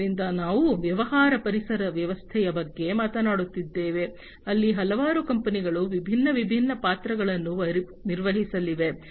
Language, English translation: Kannada, So, we are talking about a business ecosystem, where several companies are going to play different, different roles